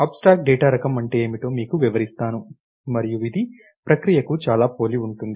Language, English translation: Telugu, Let me explain to you, what is an abstract data type, and it is very similar to a procedure